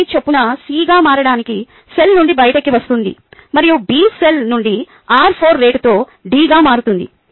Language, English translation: Telugu, a gets out of the cell to become c at the rate of r three, and being gets out of the cell to become b at a rate of r four